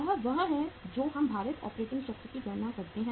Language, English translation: Hindi, This is the this is how we calculate the weighted operating cycle